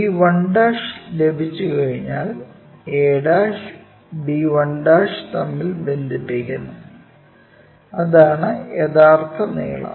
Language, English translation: Malayalam, Once b 1' is on, a' to b 1' connect it and that is the true length